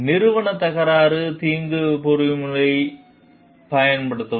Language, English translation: Tamil, Use organizational dispute resolution mechanism